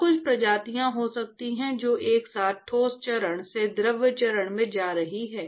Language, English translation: Hindi, And the there could be some species which is simultaneously moving from the solid phase to the fluid phase